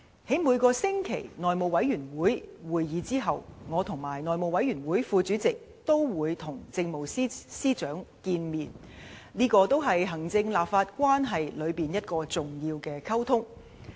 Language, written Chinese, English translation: Cantonese, 在每個星期內務委員會會議後，我和內務委員會副主席均會與政務司司長見面，這也是行政立法關係中一個重要的溝通。, After every weekly House Committee meeting I together with the House Committee Deputy Chairman will meet with the Chief Secretary for Administration which is an important communication between the executive authorities and the legislature